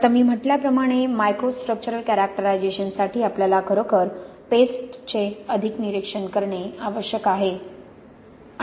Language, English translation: Marathi, Now as I said for microstructural characterization we really want to look more at paste